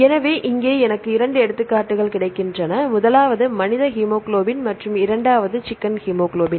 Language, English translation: Tamil, So, here I get two examples; the first one is the human hemoglobin and the second one is chicken hemoglobin